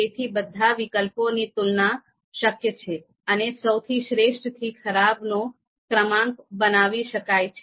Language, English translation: Gujarati, So therefore that comparison among all the alternatives is possible, and therefore best to worst ranking can be created